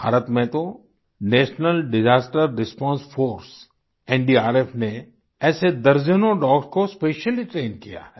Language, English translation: Hindi, In India, NDRF, the National Disaster Response Force has specially trained dozens of dogs